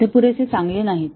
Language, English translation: Marathi, They are not good enough